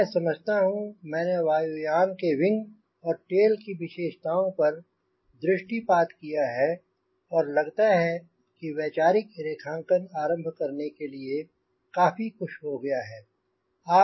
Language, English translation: Hindi, so i think with this i have tried to glance through the features of an airplane wing and tail as i look through and and which enough to start drawing a conceptual sketch